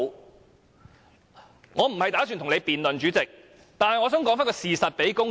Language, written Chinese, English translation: Cantonese, 主席，我無意與你辯論，但我想把事實告訴公眾。, Chairman I have no intention to debate with you but I wish to present the facts to the public